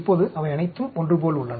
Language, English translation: Tamil, Now they are all similar